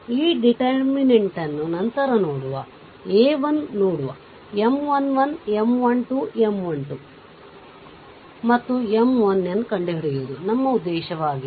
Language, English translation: Kannada, So, look at that, this this one ah this one this is a 1 our objective is have to find out M 1 1, M 1 2, M 1 3 and last one is that is your M 1 n